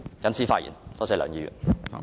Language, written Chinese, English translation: Cantonese, 謹此發言，多謝梁議員。, I so submit . Thank you Mr LEUNG